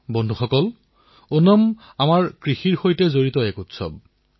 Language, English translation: Assamese, Friends, Onam is a festival linked with our agriculture